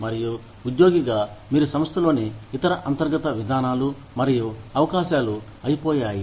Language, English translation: Telugu, And, you as an employee, have exhausted other internal procedures and possibilities, within the organization